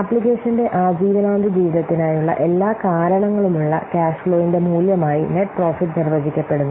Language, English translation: Malayalam, Net profit is defined as the value of all the cost cash flows for the life of the lifetime of the application